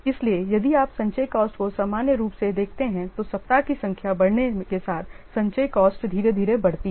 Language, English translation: Hindi, So, if you will see the cumulative cost normally the cumulative cost slowly what it increases or the number of weeks increases